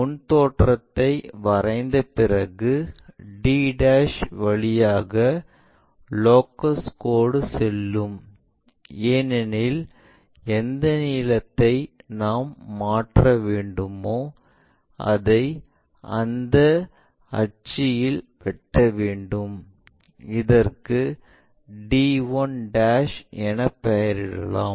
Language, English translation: Tamil, Once front view is there, the locus line passes by a d' and this point, because this length what we have transferred from here to there; we transfer it on that axis it cuts there, let us call d 1'